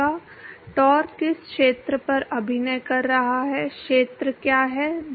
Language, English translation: Hindi, taur is the acting on what area, what is the area